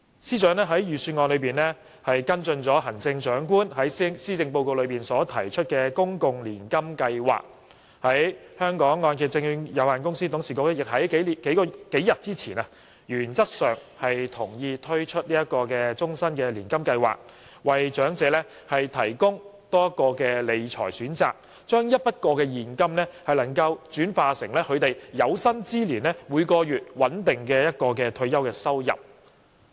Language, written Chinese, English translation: Cantonese, 司長在預算案中跟進了行政長官在施政報告提出的公共年金計劃，而香港按揭證券有限公司董事局亦在數天前原則上同意推出終身年金計劃，為長者提供多一項理財選擇，將一筆過現金轉化為有生之年每月穩定的退休收入。, The Financial Secretary has followed up in the Budget on the public annuity scheme proposed by the Chief Executive in his Policy Address . A few days ago the Board of Directors of the Hong Kong Mortgage Corporation Limited agreed in principle to launch a lifelong annuity scheme to provide the elderly with another financial management option allowing retirees to invest a lump sum in exchange for a stable monthly income until their death